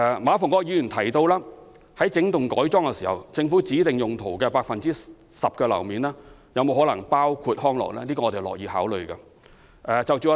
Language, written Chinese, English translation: Cantonese, 馬逢國議員提到活化整幢工廈時，政府指定用途的 10% 樓面面積可否包括康樂用途，這是我們樂意考慮的。, With regard to the wholesale revitalization of industrial buildings Mr MA Fung - kwok has asked whether the 10 % of floor area designated for specific uses prescribed by the Government can be used for recreational purpose . We are happy to consider his view